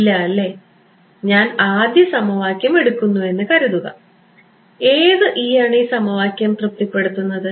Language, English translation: Malayalam, No right supposing I take the first equation what E satisfies this